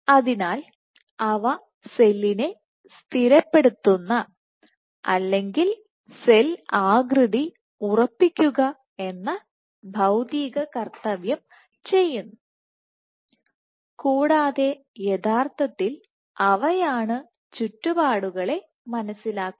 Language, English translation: Malayalam, So, they form the physical role that is stabilize the cell or stabilize cell shape, and actually they are the ones which actually sense the surroundings